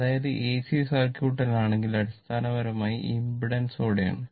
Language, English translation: Malayalam, That means, if you in AC circuit, you basically, we will term with impedance